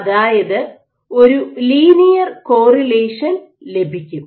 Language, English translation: Malayalam, You have a linear correlation